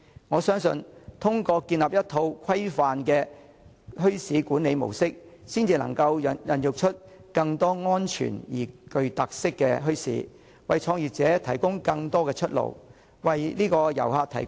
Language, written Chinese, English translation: Cantonese, 我相信通過建立一套規範的墟市管理模式，才能孕育出更多安全而且具特色的墟市，為創業者提供更多出路，為遊客提供更多選擇。, I believe that by establishing a regulated management model for bazaars a greater number of safe bazaars with special features will emerge to provide more opportunities for business - starters and more options for tourists